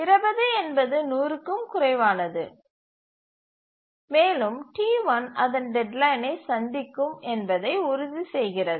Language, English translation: Tamil, So, 20 is less than 100 and this ensures that T1 would meet its deadline